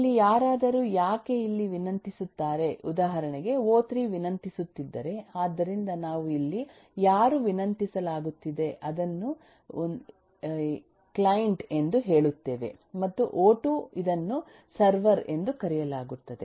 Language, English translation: Kannada, why this is anybody who requests, for example, eh here, if eh, o3 was requesting, so we will say, here is the client and who was being requested o2, this is called the server